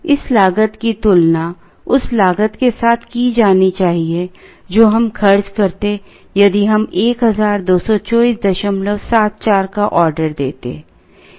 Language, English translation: Hindi, This cost has to be compared with what is the cost that we would incur if we had ordered 1224